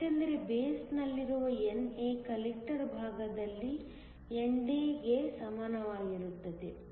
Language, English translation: Kannada, This is because NA in the base is equal to ND in the collector side